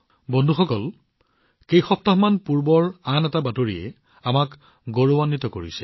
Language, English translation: Assamese, Friends, a few weeks ago another news came which is going to fill us with pride